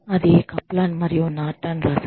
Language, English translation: Telugu, That was written by, Kaplan and Norton